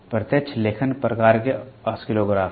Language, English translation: Hindi, Direct writing type Oscillographs are there